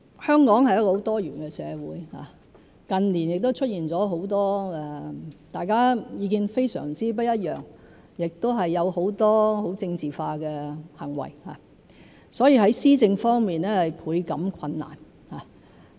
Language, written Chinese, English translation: Cantonese, 香港是一個很多元的社會，近年亦出現了很多大家意見非常不一樣的情況，亦有很多很政治化的行為，所以在施政方面，倍感困難。, Hong Kong is a very pluralist society . In recent years there have been many occasions when people held extremely diverse views and highly politicized acts are aplenty . As a result policy implementation has been particularly difficult